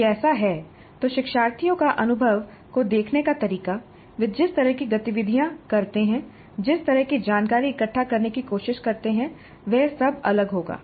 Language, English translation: Hindi, If that is so, the way the learners look at the experience, the kind of activities they undertake, the kind of information that they try to gather, would all be different